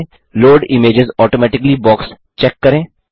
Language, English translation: Hindi, Check the Load images automatically box